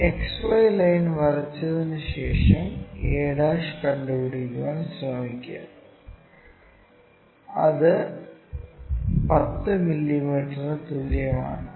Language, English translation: Malayalam, After drawing this XY line locate a ' is equal to 10 mm this point this will be 10 mm and a 15 mm